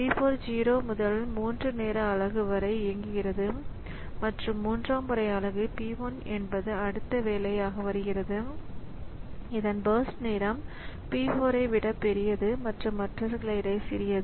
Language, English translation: Tamil, So, P4 runs from 0 to 3 time unit and from third time unit, P1 is the next job that we have whose birth time is just larger than P4 and smaller than others